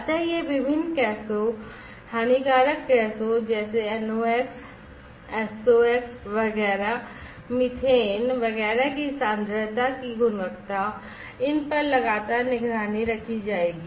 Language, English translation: Hindi, So these, quality of the concentration of the different gases harmful gases like NOx gases SOx gases, etcetera, methane etcetera, these will have to be monitored continuously